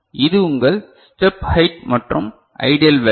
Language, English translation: Tamil, So, this is your step height, and the ideal value